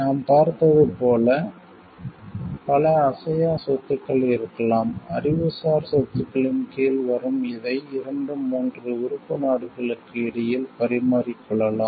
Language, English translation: Tamil, There could be many intangible assets as we saw which comes under the intellectual properties could be exchanged between the 2 3 member countries